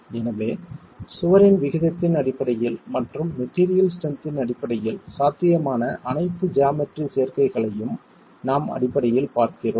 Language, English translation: Tamil, So, we are basically looking at all possible geometrical combinations in terms of the aspect ratio of the wall and in terms of the material strengths